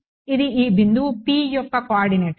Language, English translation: Telugu, It is the coordinates of this point P